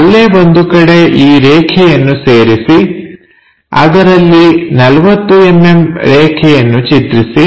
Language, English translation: Kannada, So, somewhere there join this line in that locate 40 mm line